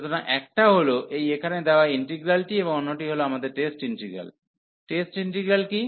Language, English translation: Bengali, So, one this given integral here, and the another one our test integral, what is the test integral